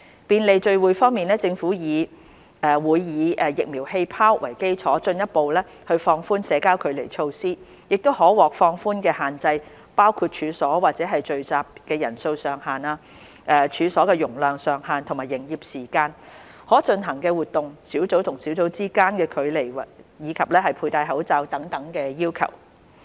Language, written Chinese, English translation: Cantonese, 便利聚會政府會以"疫苗氣泡"為基礎，進一步放寬社交距離措施，可獲放寬的限制包括處所或聚集的人數上限、處所容量上限和營業時間、可進行的活動、小組與小組之間的距離及佩戴口罩等要求。, Facilitating gatherings The Government will further relax social distancing measures with the vaccine bubble concept as the basis including relaxation of the maximum number of persons allowed at premises and group gatherings the maximum capacity of premises and operation hours the types of activities allowed the distance among groups and the mask - wearing requirement